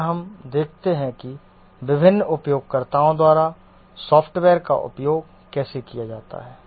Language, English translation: Hindi, And we observe how the software gets used by different users